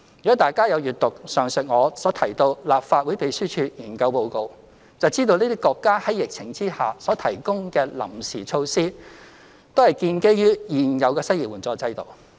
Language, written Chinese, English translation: Cantonese, 如果大家有閱讀上述我提到的立法會秘書處研究報告，便知道這些國家在疫情下所提供的臨時措施，都是建基於現有的失業援助制度。, Members who have read the aforementioned Information Note of the Legislative Council Secretariat will know that the temporary measures taken by these countries during the epidemic are founded upon their existing unemployment assistance systems